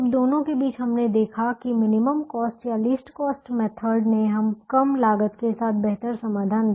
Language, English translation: Hindi, now, between the two, we observed that the minimum cost or least cost method gave a better solution with the lower cost